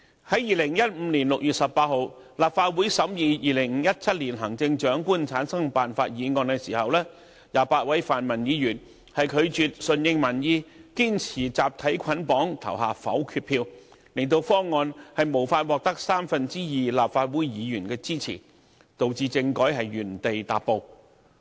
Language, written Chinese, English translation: Cantonese, 在2015年6月18日，立法會審議有關2017年行政長官產生辦法的議案 ，28 位泛民議員拒絕順應民意，堅持集體捆綁投下否決票，令方案無法獲得三分之二立法會議員支持，導致政制原地踏步。, On 18 June 2015 the Legislative Council debated the motion concerning the selection method of the Chief Executive in 2017 . Twenty - eight pan - democratic Members refused to follow public opinion and insisted to cast their votes in bundle against the motion . As the proposal failed to secure support from a two - thirds majority of Legislative Council Members the political system remained unchanged